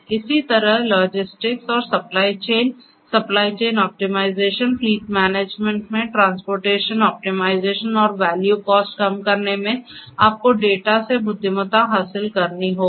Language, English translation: Hindi, For likewise for logistics and supply chain, supply chain optimization, fleet management optimizing the reduction, optimizing the transportation and fuel costs in fleet management you need to derive intelligence out of the data